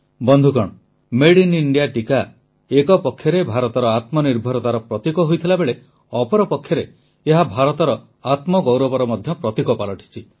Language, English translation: Odia, today, the Made in India vaccine is, of course, a symbol of India's selfreliance; it is also a symbol of her selfpride